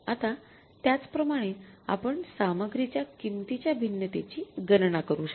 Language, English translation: Marathi, Now similarly you can calculate the material price variance